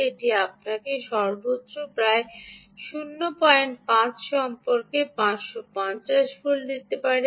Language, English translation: Bengali, it can give you a maximum of about point five, about five fifty